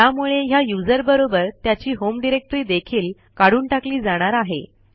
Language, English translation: Marathi, This is to remove the user along with his home directory